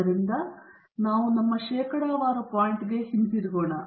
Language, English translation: Kannada, So, we get back to our percentage point